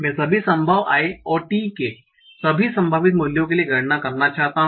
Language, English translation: Hindi, I want to compute this for all possible I's and all possible values of T